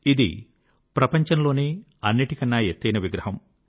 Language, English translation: Telugu, It is the tallest statue in the world